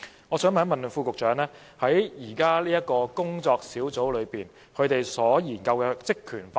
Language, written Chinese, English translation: Cantonese, 我想問局長關於現正進行研究的工作小組的職權範圍。, I would like to ask the Secretary about the terms of reference of the working group which is now conducting the study